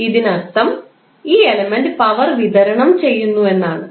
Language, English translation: Malayalam, It means that the power is being supplied by the element